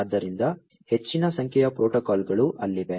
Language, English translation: Kannada, So, large number of protocols are over there